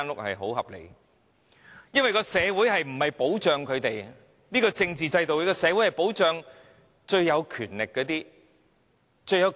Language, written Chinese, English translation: Cantonese, 我們的社會不保障中產，在現行的政治制度下，社會只保障最有權力的人。, Our society will not protect the middle class . Under the current political system only the most powerful persons will be protected